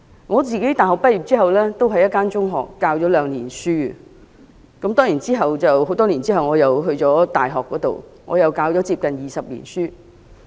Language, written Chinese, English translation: Cantonese, 我大學畢業後曾在一所中學任教兩年，當然多年後，我到大學任教，至今已接近20年。, After graduating from college I taught in a secondary school for two years and then of course I became a university lecturer many years later and have been teaching for nearly 20 years